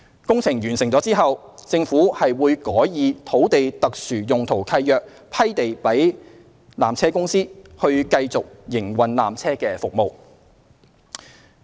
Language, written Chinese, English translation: Cantonese, 工程完成後，政府會改以土地特殊用途契約批地予纜車公司，以繼續營運纜車服務。, Upon completion of the works the Government will grant the land to PTC by SPL instead so that it can continue to operate the peak tramway service